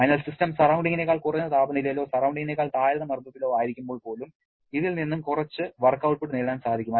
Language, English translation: Malayalam, So, even when the system is at a temperature lower than surrounding or at a pressure lower than surrounding you can get some work output from this